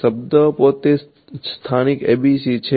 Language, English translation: Gujarati, What is the meaning of a local ABC